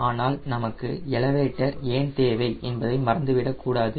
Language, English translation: Tamil, but let us not forget: why do you need elevator